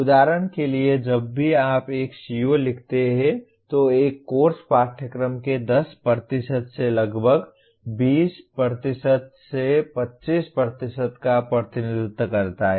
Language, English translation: Hindi, For example, whenever you write a CO, a CO represents almost anywhere from 10% of the course to almost 20 25% of the course